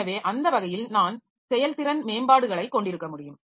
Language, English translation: Tamil, So, that way I can have performance improvement